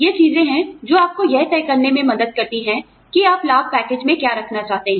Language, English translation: Hindi, These are the things, that help you decide, what you want to put in the benefits package